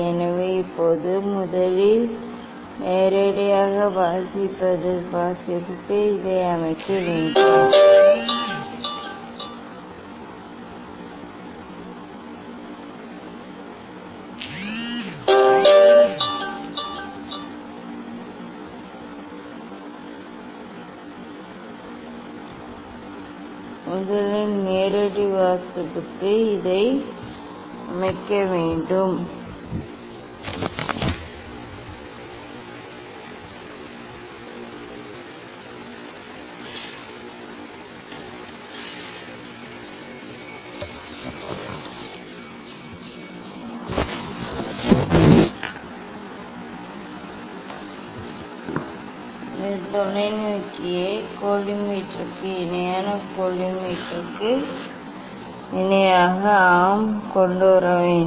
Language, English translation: Tamil, So now, first for direct reading we have to set this we have to bring this we have to bring this telescope parallel to the collimator parallel to the collimator yes